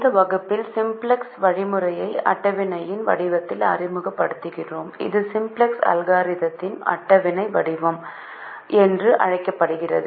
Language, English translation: Tamil, in this class we introduce the simplex algorithm in the form of a table and it's called the tabular form of the simplex algorithm